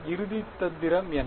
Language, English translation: Tamil, What is the final trick